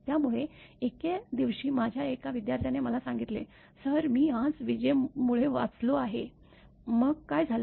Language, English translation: Marathi, So, one day one of my students told me, Sir, I have survived today because of lightning; so, what happened